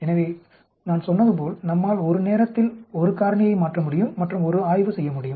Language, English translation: Tamil, So, originally I said we can change one factor at a time and do a study that is called the one factor at a time